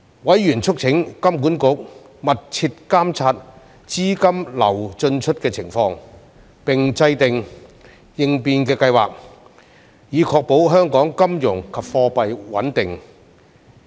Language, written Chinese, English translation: Cantonese, 委員促請金管局密切監察資金流進出的情況，並制訂應變計劃，以確保香港金融及貨幣穩定。, Members called on HKMA to closely monitor capital flow into and out of Hong Kong and formulate contingency plans for ensuring Hong Kongs financial and monetary stability